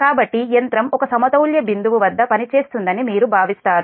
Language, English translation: Telugu, so you consider the machine operating at an equilibrium point, delta zero